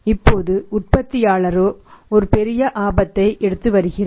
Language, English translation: Tamil, Now the company the manufacturer itself is taking a huge risk